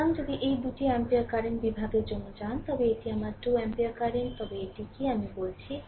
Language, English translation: Bengali, So, if you go for current division these two ampere current, this is my 2 ampere current right, then what is the what is this i